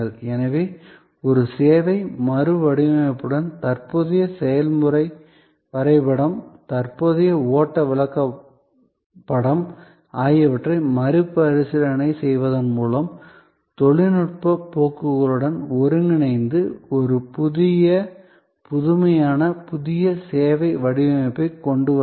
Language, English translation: Tamil, So, engage with a service redesign by re examining the current process map, the current flow chart, integrating it with technology trends and come up with a new innovative, new service design